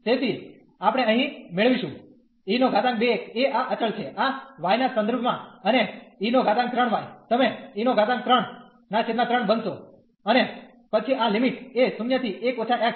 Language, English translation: Gujarati, So, we will get here e power 2 x is a as a constant with respect to this y and e power 3 y you will become e power 3 by over 3 and then this limit 0 to 1 minus x